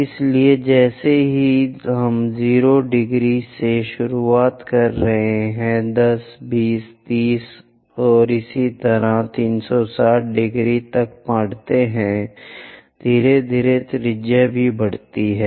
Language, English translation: Hindi, So, as I am going beginning from 0 degrees increases to 10, 20, 30 and so on 360 degrees, gradually the radius also increases